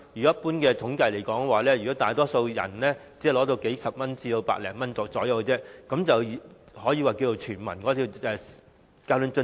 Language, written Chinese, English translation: Cantonese, 一般統計顯示，大多數市民只能夠得到大約數十元至100多元，但政府卻可以說成是全民交通津貼。, Surveys generally suggest that most people can only receive some dozens to more than a hundred dollars but the Government can declare it a universal fare subsidy